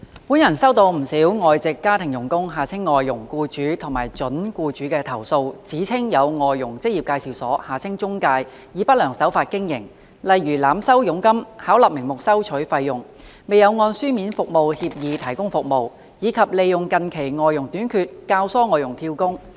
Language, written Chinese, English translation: Cantonese, 本人收到不少外籍家庭傭工僱主及準僱主的投訴，指稱有外傭職業介紹所以不良手法經營，例如濫收佣金、巧立名目收取費用、未有按書面服務協議提供服務，以及利用近期外傭短缺教唆外傭"跳工"。, I have received quite a number of complaints from employers and prospective employers of foreign domestic helpers FDHs alleging that some employment agencies for placement of FDHs EAs have engaged in malpractices such as overcharging commissions charging fees under all sorts of pretexts failing to provide services in accordance with written service agreements and abetting FDHs to job - hop to take advantage of the recent shortage of FDHs